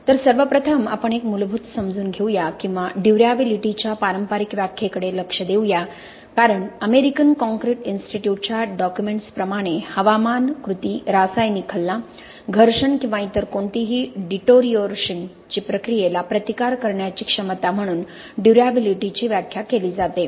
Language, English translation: Marathi, So first of all let us take a basic understanding or look at the conventional definitions of durability because as far as the American concrete institute document is concerned they define durability as the ability to resist weathering action, chemical attack, abrasion, or any other process of deterioration